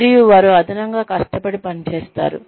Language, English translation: Telugu, And, they work extra hard